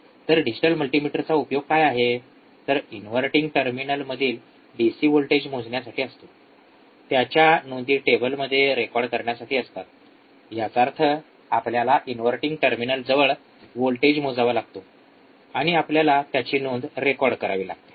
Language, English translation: Marathi, So, what is that use a digital multimeter measure the DC voltage at inverting terminal and record the values in the table; that means, that we have to measure the voltage at inverting terminal, and we have to record the value